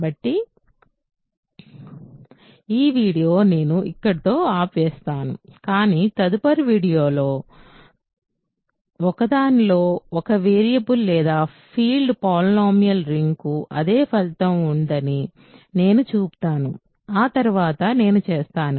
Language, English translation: Telugu, So, I am going to stop this video here, but in the next video or in one of the next videos, I will show that the same result holds for polynomial ring in one variable or a field so, that I will do next